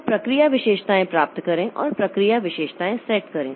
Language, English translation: Hindi, So, get process attributes and set process attributes